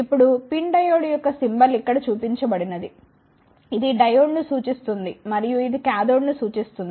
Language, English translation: Telugu, Now, the symbol of the pin diode is represented here this denotes the diode and this represents the cathode